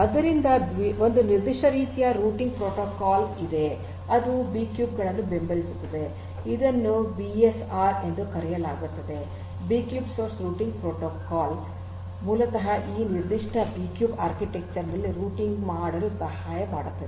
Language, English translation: Kannada, So, there is a specific type of routing protocol that is that supports these B cubes which is known as the BSR the B cube source routing protocol which basically helps in routing in this particular B cube architecture